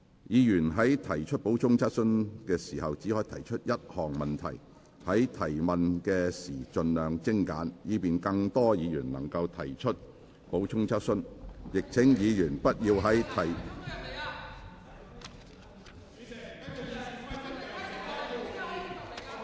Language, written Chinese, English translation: Cantonese, 議員在提出補充質詢時只可提出一項問題，在提問時請盡量精簡，以便更多議員能提出補充質詢，亦請議員不要在......, Members may raise only one question in asking supplementary questions . These questions should be as concise as possible so that more Members can ask supplementary questions . Members should not